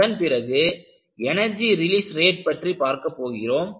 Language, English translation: Tamil, So, this will be followed by Energy Release Rate